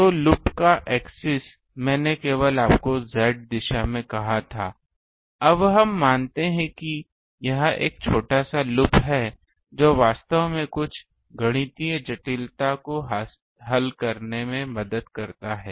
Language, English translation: Hindi, So, axis of the loop I only you said in the Z direction; now we assume that this this is a small loop um that actually helps in solving some mathematical complexity